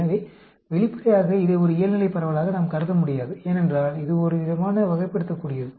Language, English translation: Tamil, So obviously, we cannot consider this as a normal distribution, because it is sort of ordinal